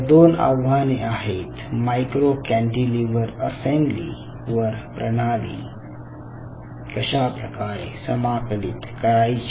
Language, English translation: Marathi, so these are the two challenges: how to integrate the system on a micro cantilever assembly